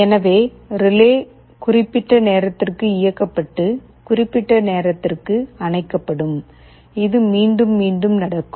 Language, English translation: Tamil, So, the relay will be turned ON for certain time and turned OFF for certain time, and this will happen repeatedly